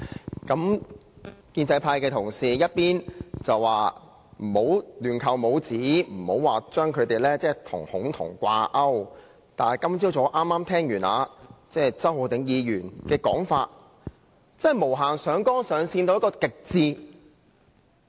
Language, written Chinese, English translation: Cantonese, 代理主席，建制派同事一邊說不要亂扣帽子，不要將他們與"恐同"掛鈎，但今早周浩鼎議員的發言卻無限上綱上線到極致。, Deputy Chairman while Honourable colleagues from the pro - establishment camp urge others to stop besmirching them and pinning them as homophobians the speech by Mr Holden CHOW this morning escalated the issue beyond the very extreme